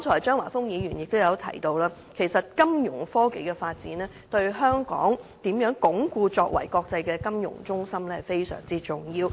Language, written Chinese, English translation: Cantonese, 張華峰議員剛才也提到，金融科技的發展對鞏固香港國際金融中心的地位相當重要。, Mr Christopher CHEUNG mentioned just now that the development of financial technology is very important to the consolidation of Hong Kongs position as an international financial centre